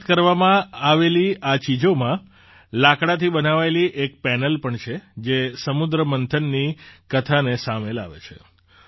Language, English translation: Gujarati, Among the items returned is a panel made of wood, which brings to the fore the story of the churning of the ocean